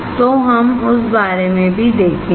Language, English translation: Hindi, So, we will see about that also